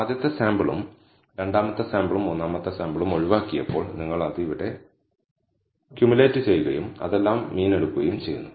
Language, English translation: Malayalam, When the first sample, second sample and third sample was left out that you are cumulating it here and taking the average of all that